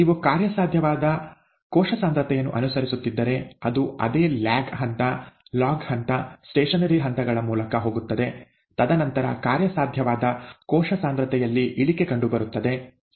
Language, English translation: Kannada, Whereas if you are following the viable cell concentration, it is going to go through the same lag phase, log phase, stationary phase, and then there will be a decrease in the viable cell concentration